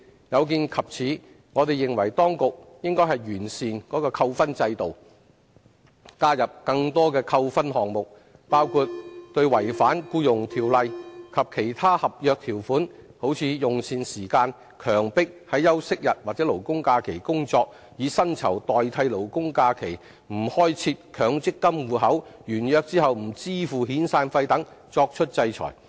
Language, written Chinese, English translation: Cantonese, 有見及此，我們認為當局應完善扣分制度，加入更多扣分項目，包括對違反《僱傭條例》及其他合約條款，如用膳時間、強迫於休息日及勞工假期工作、以薪酬代替勞工假期、沒有開設強積金戶口、完約後不支付遣散費等作出制裁。, In view of these we think the authorities should perfect the demerit point system by introducing additional default items including sanctions for non - compliance with the Employment Ordinance and other contract terms such as meal breaks requiring employees to work on rest days and labour holidays payment in lieu of labour holidays failure to open Mandatory Provident Fund accounts and failure to settle severance payments on completion of contract